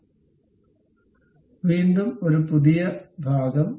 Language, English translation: Malayalam, So, again new part, ok